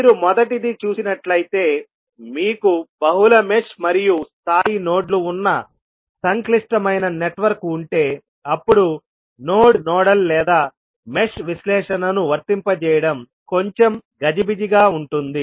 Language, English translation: Telugu, So, if you see the first case you, if you have a complex network where you have multiple mesh and nodes of level, then applying the node nodal or mesh analysis would be a little bit cumbersome